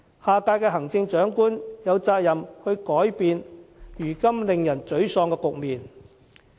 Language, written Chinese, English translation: Cantonese, 下屆行政長官有責任改變令人沮喪的局面。, The next Chief Executive has the duty to change this deplorable situation